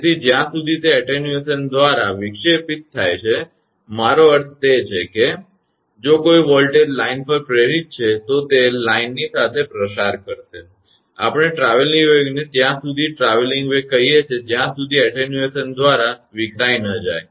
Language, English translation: Gujarati, So, until it is dissipated by attenuation; I mean whatever it is, if any voltage induced on the line, it will propagate along the line; we call traveling wave, as a traveling wave until it is dissipated by attenuation